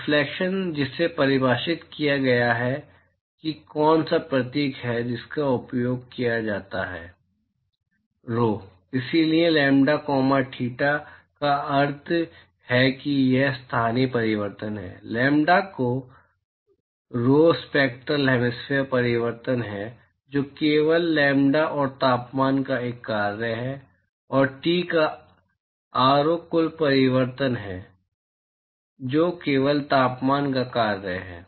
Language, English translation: Hindi, The reflectivity which is defined as which is the symbol that is used is rho, so, lambda comma theta means it is the local reflectivity, rho of lambda is the spectral hemispherical reflectivity which is only a function of lambda and temperature, and rho of T is the total reflectivity which is only a function of temperature